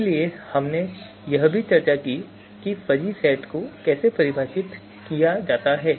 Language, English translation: Hindi, So we we also discussed how the fuzzy set is defined